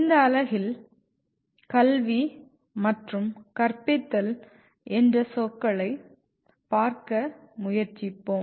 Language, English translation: Tamil, The unit is we are trying to look at the words education and teaching